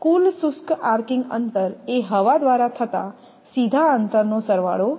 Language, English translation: Gujarati, The total dry arcing distance is the sum of all direct distances through air